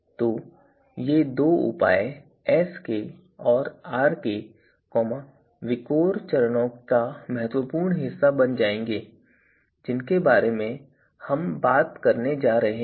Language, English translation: Hindi, So, these you know these two measures Sk and Rk will become important part of the VIKOR steps that we are going to talk about